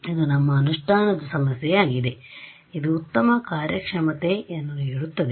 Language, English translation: Kannada, This is our implementation issue this is what gives the best performance